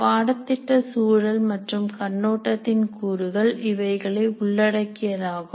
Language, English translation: Tamil, The elements of this course context and overview will include the following